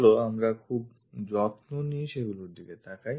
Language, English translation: Bengali, So, let us look at those carefully